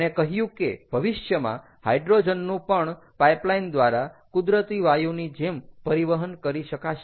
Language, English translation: Gujarati, ah, he said that even hydrogen in future could be, ah, i mean could be transported via pipelines similar to natural gas